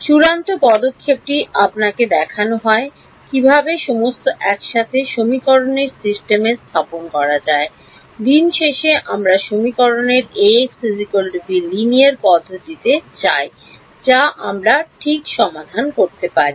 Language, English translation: Bengali, The final step is to show you how to put it all together into a system of equations, at the end of the day we want to Ax is equal to b linear system of equations which we can solve ok